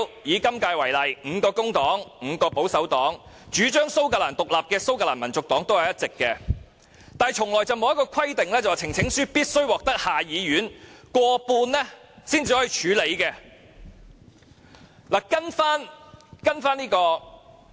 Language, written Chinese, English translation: Cantonese, 以今屆為例，工黨及保守黨各有5人，主張蘇格蘭獨立的蘇格蘭民族黨也有1人，卻從未有規定呈請書必須獲得下議院過半數支持才可獲處理。, In the case of the current term the Labour Party and the Conservative Party each has five members in the Committee and the Scottish National Party that advocates Scottish independence also has one member . There is no such requirement that a petition shall be considered for a debate only if it is supported by not less than one half of all members of the House of Commons